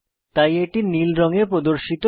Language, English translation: Bengali, So they appear in blue color